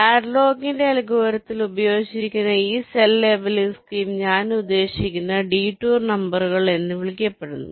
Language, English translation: Malayalam, so this cell labeling scheme that is used in hadlocks algorithm, i mean use a, something called detour numbers